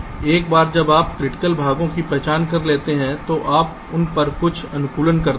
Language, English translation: Hindi, then once you identify the critical portions, to carry out certain optimization on those